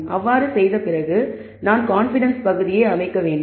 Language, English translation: Tamil, Now, after doing so, we need to set the confidence region